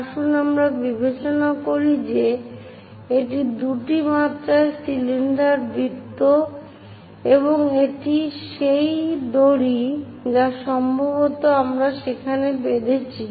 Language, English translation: Bengali, Let us consider this is the cylinder circle in two dimensions and this is the rope which perhaps we might have tied it there